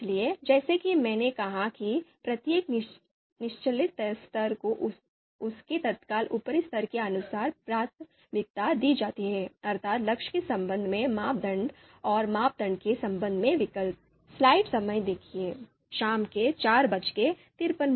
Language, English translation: Hindi, So as I said each lower level is prioritized according to its immediate level upper level, so that is you know criteria with respect to goal and alternatives with respect to criterion